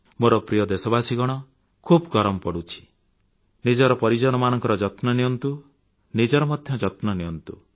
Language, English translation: Odia, My dear countrymen, the weather is too hot and inhospitable , take care of your loved ones and take care of yourselves